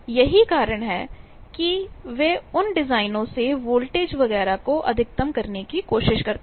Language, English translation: Hindi, So, power is not a problem that is why they try to maximize those voltage etcetera from those designs